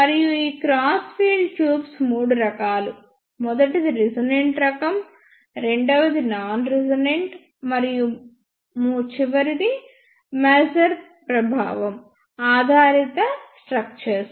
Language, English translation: Telugu, And these crossed field tubes are of three types; first one is resonant type, second one is non resonant and the last one is the structures based on maser effect